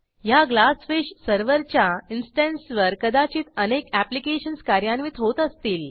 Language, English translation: Marathi, This Glassfish server instance may have many applications running on it